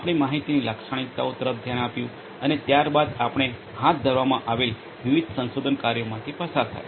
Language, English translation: Gujarati, We looked at the data characteristics and thereafter we went through the different research works that are being undertaken